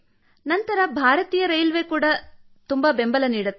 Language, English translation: Kannada, Next, Indian Railway too is supportive, sir